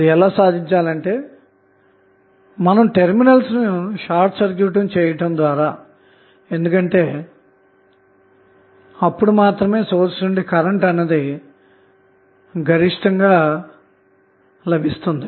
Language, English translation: Telugu, It will be achieved simply by sorting the terminals because only at that condition the maximum current would be delivered by the source